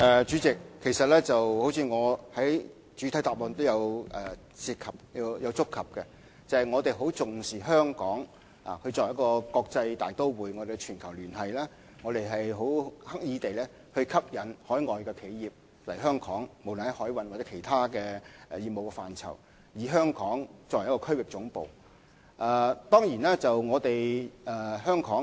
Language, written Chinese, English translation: Cantonese, 主席，正如我在主體答覆中所提及，我們十分重視香港作為國際大都會及全球連繫者的角色，不論在海運或其他業務範疇，我們均刻意吸引海外企業來港，香港也成為一個區域總部。, President as I mentioned in the main reply we attach great importance to Hong Kongs role as an international metropolis and a connector to the rest of the world . On the maritime front as well as in other business domains we will consciously attract overseas enterprises to come to Hong Kong so that Hong Kong will become a regional headquarters